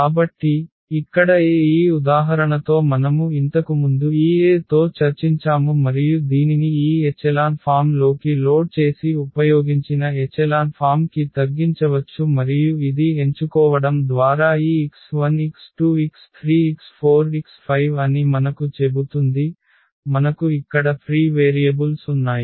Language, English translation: Telugu, So, here the A was this one this example we have already discussed before with this A and we can reduce it to the this echelon form loaded used echelon form and which tells us that these x 1 x 2 x 3 x 4 by choosing because, we have to we have free variables here